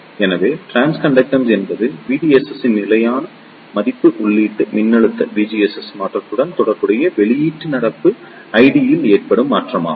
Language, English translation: Tamil, So, trans conductance is an measure of change in output current I D with respect to change in the input voltage V GS for a constant value of V DS